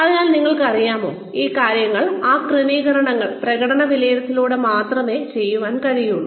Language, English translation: Malayalam, So, you know, those things, those adjustments, can only be done through performance appraisals